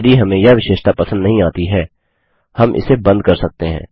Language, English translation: Hindi, If we do not like this feature, we can turn it off